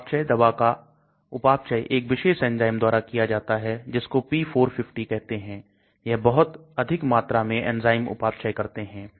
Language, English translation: Hindi, The metabolism, drug gets metabolized by this particular enzyme called cytochrome p450, so large number of enzymes metabolize that